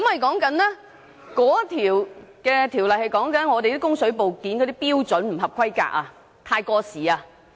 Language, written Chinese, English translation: Cantonese, 該項規例關於水管部件的標準不合規格或太過時。, The Regulation is related to substandard or outdated plumbing components